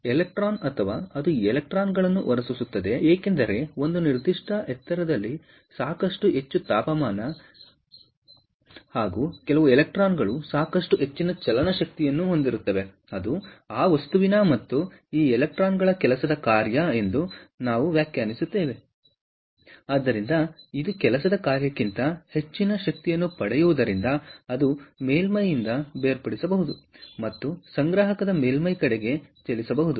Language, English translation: Kannada, ok, and the reason why it emit electrons or it emits electrons, is because, at a certain high, at sufficiently high temperature, some of the electrons have sufficiently high kinetic energy, which is above the what we defined as work function for that material and these electrons, therefore, as it, as it attains energy above the work function, can detach from the surface and move towards the collector surface